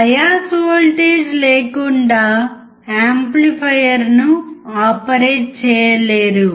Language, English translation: Telugu, Without bias voltage, one cannot operate the amplifier